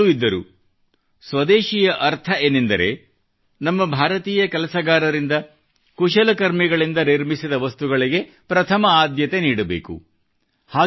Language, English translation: Kannada, He also used to say that Swadeshi means that we give priority to the things made by our Indian workers and artisans